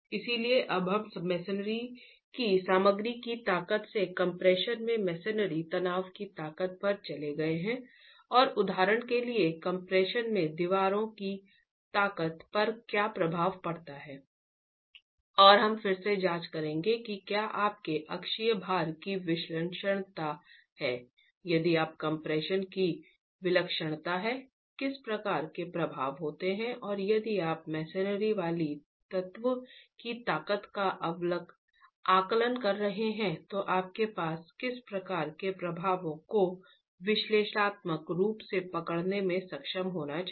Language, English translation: Hindi, So we have now moved on from strength of the material of masonry to the strength of a masonry element in compression and what affects the strength of walls in compression for example and we'll again examine if there is eccentricity of your axial loads, if there is eccentricity of your compression, what sort of effects occur and what sort of effects should you be able to analytically capture if you're estimating the strength of the masonry element itself